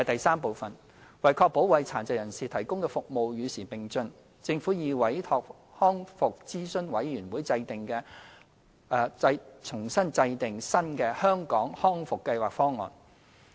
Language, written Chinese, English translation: Cantonese, 三為確保為殘疾人士提供的服務與時並進，政府已委託康復諮詢委員會制訂新的《香港康復計劃方案》。, 3 To ensure relevance of the services for PWDs the Government has asked the Rehabilitation Advisory Committee RAC to formulate a new Hong Kong Rehabilitation Programme Plan RPP